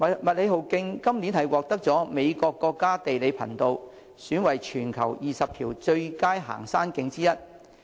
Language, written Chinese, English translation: Cantonese, 麥理浩徑今年獲美國國家地理頻道選為全球20條最佳行山徑之一。, This year the MacLehose Trail was cited as one of the worlds top 20 hiking trails by the United States National Geographic Channel